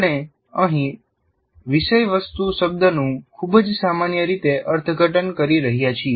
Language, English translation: Gujarati, So content here we are interpreting in a very generic manner